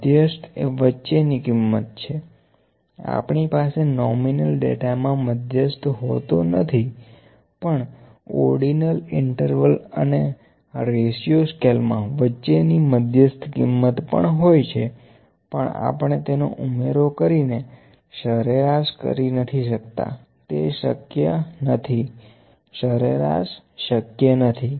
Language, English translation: Gujarati, Median, median is the middle value, we cannot have median in the nominal data, but in ordinal, interval and ratio scales we can have the median middle value alike in order also we can have the middle value, but we cannot sum the order up and take an average that is not possible, mean is not possible